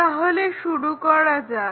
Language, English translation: Bengali, Let us begin